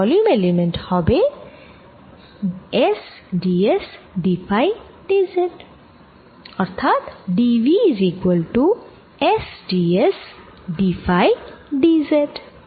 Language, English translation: Bengali, so volume element d v is nothing but s d s, d phi, d z